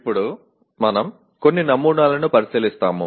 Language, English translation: Telugu, Now we will look at some of the samples